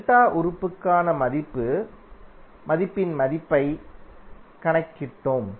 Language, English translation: Tamil, We just calculated the value of value for delta element